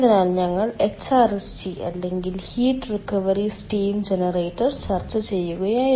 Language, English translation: Malayalam, so, if we recall, we were discussing regarding hrsg or heat recovery steam generator, heat recovery steam generator